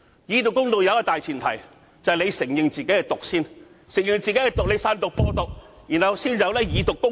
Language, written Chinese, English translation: Cantonese, "以毒攻毒"有一個大前提，就是必須先承認自己是"毒"，然後散毒、播毒，這才會出現"以毒攻毒"。, Fighting poison with poison is based on the premise that he must first admit that he himself is a poison . It is only after the poison has spread that the scenario of fighting poison with poison will arise